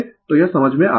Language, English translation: Hindi, So, this is understandable